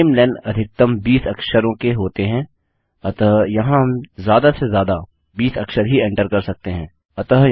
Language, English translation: Hindi, The namelen is maximum 20 characters so here we can only enter a maximum of 20 characters